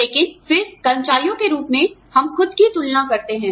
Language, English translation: Hindi, But, then as employees, we tend to compare ourselves